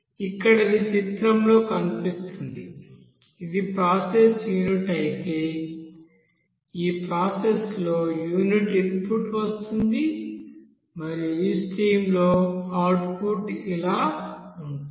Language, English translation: Telugu, So here it is seen in the figure that if this is a process unit, you will see that in this process unit input will be coming and whereas output will be like this in this stream